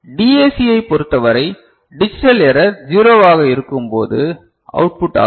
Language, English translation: Tamil, For DAC, it is the output when digital code is zero ok